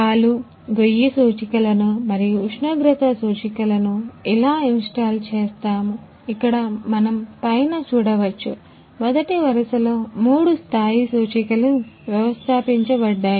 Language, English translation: Telugu, How we install the milk silo indicators and temperature indicators, where we can see the in top of the first row three level indicator indicators are installed